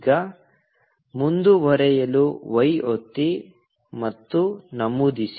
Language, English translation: Kannada, Now, press y and enter to continue